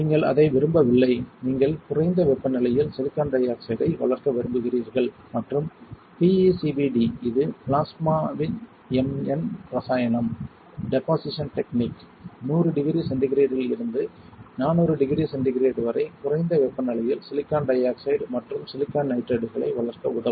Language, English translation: Tamil, You do not want that, you want to grow silicon dioxide at a lower temperature and PECVD which is plasma m n chemical deposition technique will help you to grow silicon dioxide and silicon nitride at lower temperature from hundred degree centigrade to 400 degree centigrade